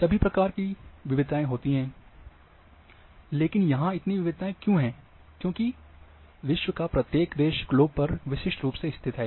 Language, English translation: Hindi, So, all all kinds of variations are there, why variations are there, because each country on the globe is located uniquely